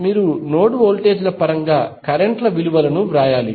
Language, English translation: Telugu, You have to write the values of currents in terms of node voltages